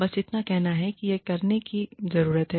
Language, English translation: Hindi, Just say, that this needs to be done